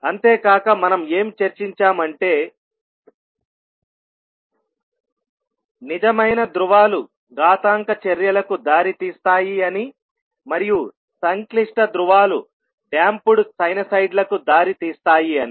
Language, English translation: Telugu, And then we also discussed that real poles lead to exponential functions and complex poles leads to damped sinusoids